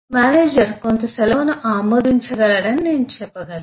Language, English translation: Telugu, I can say that, eh, a manager can approve some leave